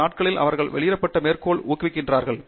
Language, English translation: Tamil, These days, they are encouraged to a publish quotes